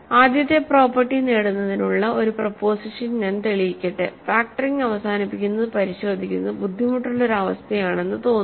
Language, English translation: Malayalam, So, let me prove a proposition to get control of the first property, see factoring seems factoring terminating seems a difficult condition to check